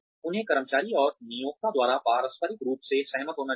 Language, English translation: Hindi, They should be agreed upon mutually, by the employee and the employer